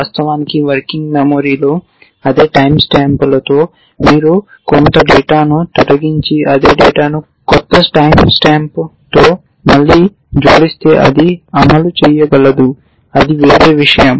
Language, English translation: Telugu, Which means of course, with the same time stamps in the working memory if you were to delete some data and add the same data again with a new time stamp then it could fire, that is a different story